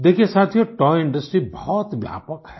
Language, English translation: Hindi, Friends, the toy Industry is very vast